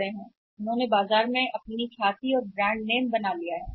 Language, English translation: Hindi, So, they have made up the Goodwill their brand name in the market